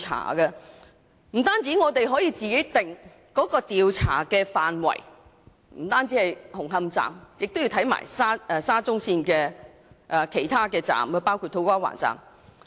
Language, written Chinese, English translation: Cantonese, 這樣不單可以自行釐定調查範圍，不止是研究沙中線紅磡站，也要一併研究其他車站，包括土瓜灣站。, By so doing we can decide that the scope of investigation should not be confined to Hung Hom Station of SCL but also cover other stations such as To Kwa Wan Station